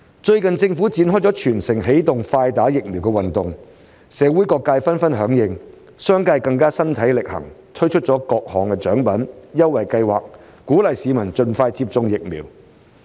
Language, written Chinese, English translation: Cantonese, 最近政府展開"全城起動快打疫苗"運動，社會各界紛紛響應，商界更加身體力行，推出各種獎品、優惠計劃，鼓勵市民盡快接種疫苗。, The Government has recently launched the Early Vaccination for All campaign which has been well received by various sectors of the community . The business sector has even taken concrete actions by offering various rewards and incentives to encourage members of the public to get vaccinated as soon as possible